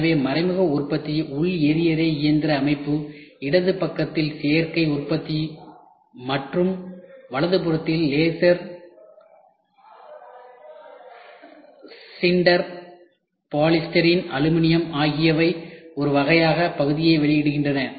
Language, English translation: Tamil, So, indirect manufacturing combustion engine housing, additive manufacturing in the left side, and laser sinter polystyrene aluminium cast one of a kind part at the right side we try to get the output